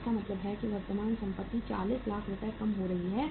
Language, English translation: Hindi, So it means current assets are being reduced by the 40 lakh rupees